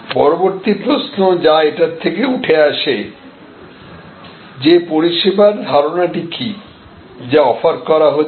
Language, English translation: Bengali, The next question that will emerge out of that therefore, what is the service concept, that is being offered